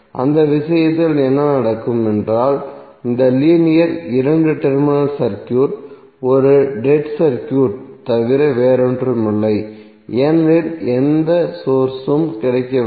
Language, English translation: Tamil, So in that case what will happen that this linear two terminal circuit would be nothing but a dead circuit because there is no source available